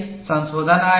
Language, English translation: Hindi, Many modifications have come on this